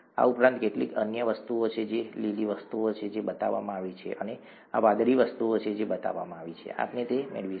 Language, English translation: Gujarati, In addition there are a few other things, there are these green things that are shown, and there are these blue things that are shown, we will get to that